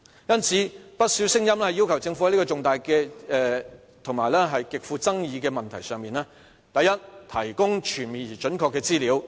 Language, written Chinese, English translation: Cantonese, 因此，不少聲音要求政府在這個重大及極富爭議的問題上，第一，提供全面而準確的資料。, As this issue is important and controversial there are voices in society urging the Government to first provide comprehensive and accurate information and second to formally conduct a public consultation